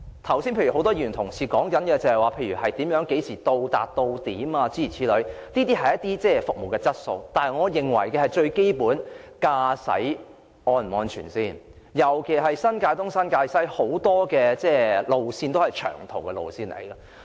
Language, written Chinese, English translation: Cantonese, 剛才很多議員提出巴士何時到達或是否準點的問題，這些是服務質素的問題，但我認為最基本的是駕駛是否安全，尤其是新界東和新界西有很多長途巴士路線。, Earlier on many Members raised the issue of the timing or punctuality of bus arrivals which has to do with the service quality . But I think the most fundamental point is the safety of driving especially with respect to the many long - haul bus routes in New Territories East and New Territories West